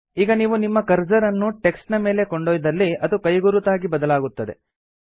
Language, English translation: Kannada, Now when you hover your cursor over the text, the cursor turns into a pointing finger